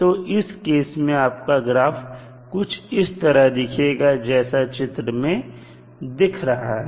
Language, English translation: Hindi, So, in that case it will the curve will look like as shown in the figure